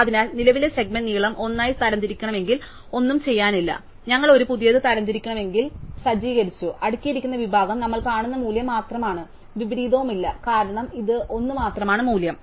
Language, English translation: Malayalam, So, if the current segment is to be sorted as length 1, then there is nothing to be done, we just set up a new, the sorted segment is just the value that we see and there is no inversion, because there is only one value